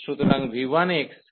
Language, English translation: Bengali, So, v 1 x to v 2 x